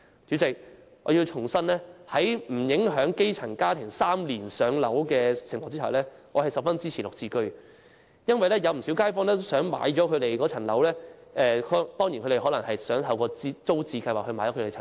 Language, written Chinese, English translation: Cantonese, 主席，我要重申，在不影響基層家庭3年"上樓"的情況下，我十分支持"綠置居"，因為不少街坊都想擁有居住的房屋，雖然他們可能希望透過租置計劃購置房屋。, President I would like to reiterate on condition that the three - year waiting time for PRH allocation will not be affected I will fully support the Green Form Subsidised Home Ownership Scheme GSH because quite many people would like to become home owners though they might wish to do so through the Tenants Purchase Scheme